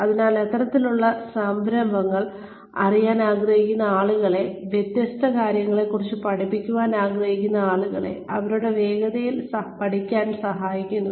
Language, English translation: Malayalam, So, these kinds of initiatives, help people, who want to know, learn about different things, learn at their own pace